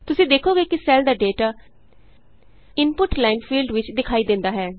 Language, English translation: Punjabi, You see that the data of the cell is displayed in the Input line field